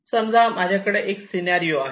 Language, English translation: Marathi, lets say i have a scenario